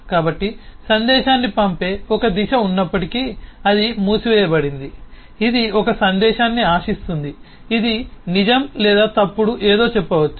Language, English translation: Telugu, so even though there is a single direction which is sending the message is closed, it will expect a message that which will say may be say true or false, something like this